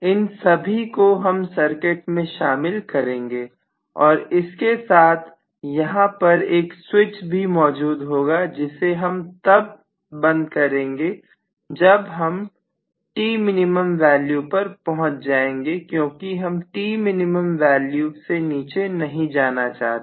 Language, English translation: Hindi, This is what I am going to include and across each of these I may have a switch which I would close as soon as probably I reach T minimum value because I do not want to go beneath the T minimum value